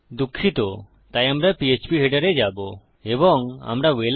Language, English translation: Bengali, Sorry, so we will go to php header and we have got Welcome